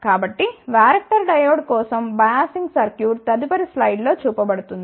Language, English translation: Telugu, So, the biasing circuit for the varactor diode is shown in the next slide